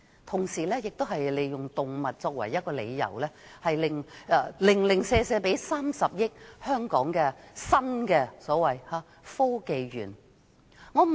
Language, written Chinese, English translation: Cantonese, 同時，政府也是以動物為由，特別撥出30億元給香港科技園公司。, At the same time the Government has especially earmarked 3 billion to the Hong Kong Science and Technology Corporation for the sake of animals